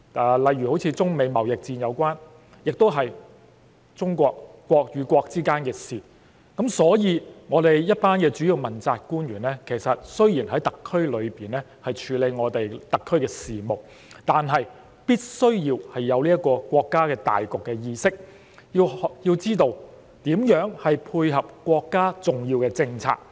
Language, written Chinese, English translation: Cantonese, 又例如中美貿易戰，是國與國之間的事情，我們一群主要問責官員雖然是在特區內處理特區的事務，但必須要有國家大局的意識，要知道如何配合國家的重要政策。, The US - China trade war for instance is a matter between the two countries . Our principal officials despite being tasked with the affairs within the Hong Kong SAR must bear in mind the situation of the whole country . They need to know how to support the important policies of the country